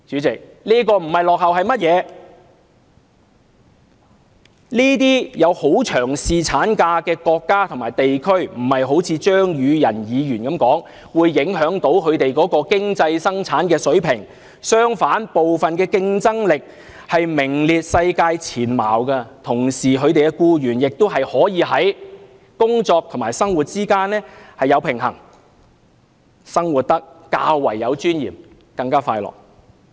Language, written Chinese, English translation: Cantonese, 這些提供很長侍產假的國家和地區，不是好像張宇人議員所說一般，會因而影響它們的經濟生產水平，相反，部分國家的競爭力還名列世界前茅，同時它們的國民也可以在工作和生活之間取得平衡，生活得較為有尊嚴，而且更加快樂。, For those countries and regions which provide a longer duration of paternity leave their economic productivity levels have not as claimed by Mr Tommy CHEUNG been adversely affected . On the contrary some countries even rank among the top in the world in competitiveness . At the same time their citizens are able to enjoy work - life balance and lead a life with greater dignity and happiness